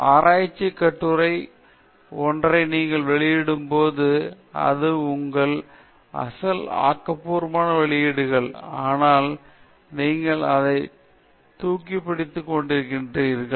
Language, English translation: Tamil, When you publish a research article, you publish it as your original work, but you are lifting it or you are taking it from someone elseÕs work without properly acknowledging